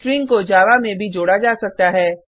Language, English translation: Hindi, Strings can also be added in Java